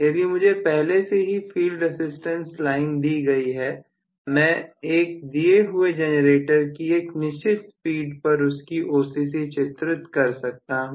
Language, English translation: Hindi, So, if I am already given the field resistance line I should be able to draw the OCC for this particular generator may be I have to draw it to particular speed